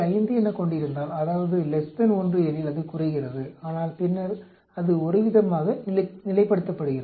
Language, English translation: Tamil, 5 that is less than 1 it goes down but later on it sort of stabilizes